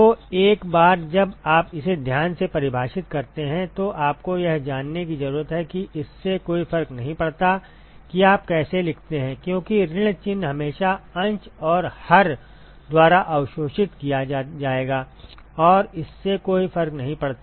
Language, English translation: Hindi, So, that is all you need to know once you define that carefully it does not matter how you write because minus sign will always be absorbed by the numerator and the denominator it does not matter